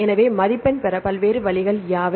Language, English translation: Tamil, So, what are the different ways to score